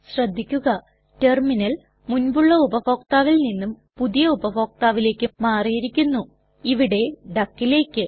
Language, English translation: Malayalam, Please notice that, the Terminal switches from the previous user to the new user, which is duck in our case